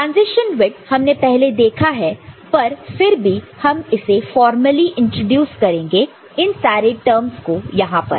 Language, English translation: Hindi, Transition width we have already seen, but again more formally we shall introduce ourselves to these terms over here ok